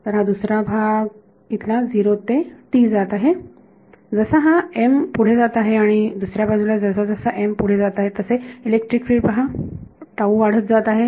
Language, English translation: Marathi, So, this second part over here is moving from 0 to t as m is progressing and on the other hand as m is progressing this electric field value see tau keeps increasing